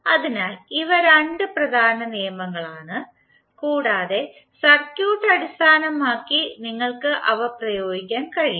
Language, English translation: Malayalam, So these are the 2 important laws based on the circuit you can apply them